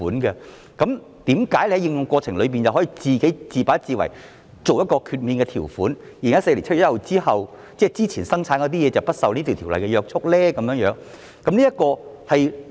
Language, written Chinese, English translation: Cantonese, 那麼為何政府在修訂條例過程中卻可以自把自為加入豁免條款，讓在2014年7月1日前建造的貨櫃不用受若干約束呢？, Then why did the Government on its own accord incorporate this exemption clause in the course of amending the Ordinance so that the containers constructed before 1 July 2014 are not subject to certain restrictions?